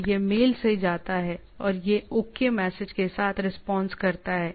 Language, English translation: Hindi, So, it goes from mail from it responded with a OK message